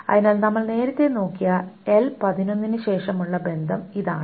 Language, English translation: Malayalam, So this was the relation after that L11 that we looked about earlier